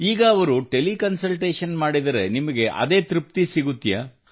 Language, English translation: Kannada, Now if they do Tele Consultation, do you get the same satisfaction